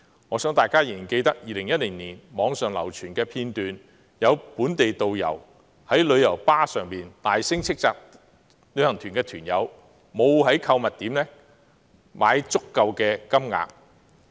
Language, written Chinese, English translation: Cantonese, 我相信大家仍然記得2010年網上流傳的一段影片，有本地導遊在旅遊巴士上大聲斥責旅行團團友沒有在購物點消費足夠金額。, I believe Members will remember a video clip widely circulated on the Internet in 2010 in which a local tourist guide loudly rebuked some members of the tour group for not spending sufficient amount of money at the shopping spot